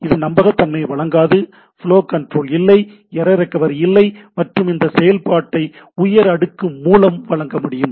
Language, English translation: Tamil, So, does not provide reliability, no flow control, no error recovery and this function can be provided by the higher layer